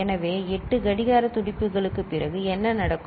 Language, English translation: Tamil, So, after 8 clock pulses what will happen